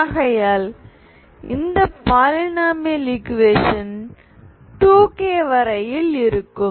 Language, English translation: Tamil, So this one is the polynomial that will stay up to 2k terms, okay